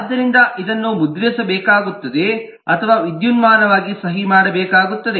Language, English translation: Kannada, so this will have to be printed or electronically signed and so on